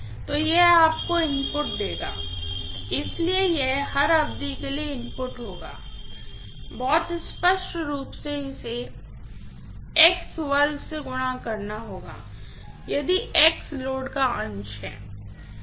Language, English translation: Hindi, So, this will give you the input, so this will be the input for every duration, very clearly it has to be multiplied by x square if x is the fraction of the load